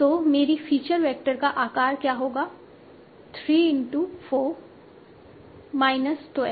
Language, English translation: Hindi, So my feature vector, so it's of 12 dimension